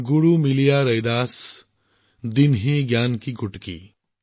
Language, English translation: Assamese, Guru Miliya Raidas, Dinhi Gyan ki Gutki